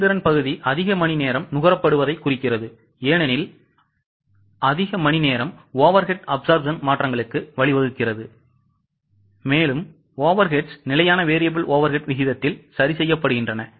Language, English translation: Tamil, Efficiency part indicates that more hours were consumed because more hours leads to changes of overhead absorption because the overheads are being charged at standard variable overhead rate